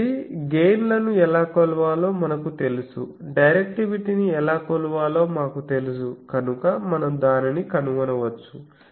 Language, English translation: Telugu, So, we know how to measure gain we know how to measure directivity so we can find that